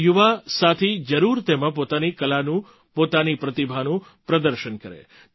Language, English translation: Gujarati, Our young friends must showcase their art, their talent in this